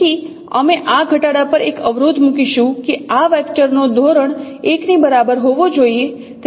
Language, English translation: Gujarati, So we would put a constraint on this minimization that norm of this this vector should be equal to one